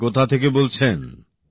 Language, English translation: Bengali, Where are you speaking from